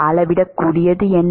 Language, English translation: Tamil, what is measurable